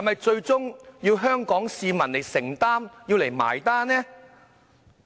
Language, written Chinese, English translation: Cantonese, 最終要香港市民承擔和結帳呢？, Do Hong Kong people eventually have to bear the consequences and foot the bill?